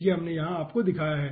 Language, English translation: Hindi, then here what we have done